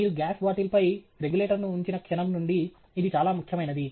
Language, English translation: Telugu, This is particularly important the moment you put a regulator on the gas bottle